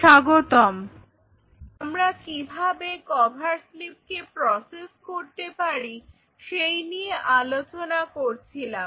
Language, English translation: Bengali, Welcome back, we were talking about how you can process the cover slips